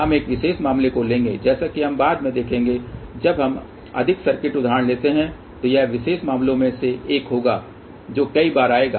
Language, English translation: Hindi, We will take one of the special case as we will see later on when we take on more circuit examples that this will be a 1 of the special cases which will come several time